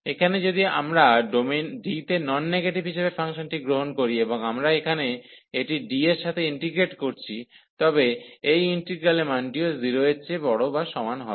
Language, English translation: Bengali, So, here if we take the function as a non negative on the domain D, and we are integrating here this over D, then this value of this integral will be also greater than or equal to 0